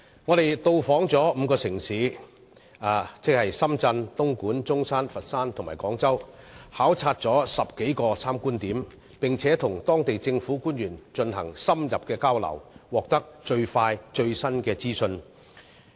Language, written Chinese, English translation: Cantonese, 我們到訪5個城市，即深圳、東莞、中山、佛山和廣州，到過10多個參觀點考察，並與當地政府官員進行深入交流，獲得最快最新的資訊。, We went to five cities Shenzhen Dongguan Zhongshan Foshan and Guangzhou . In the 10 sites or so that we visited we had in - depth exchanges with local government officials and gathered from them the latest information about the area